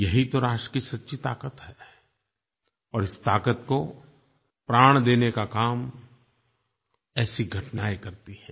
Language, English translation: Hindi, This is the true strength of a nation and the inspiration comes fom such events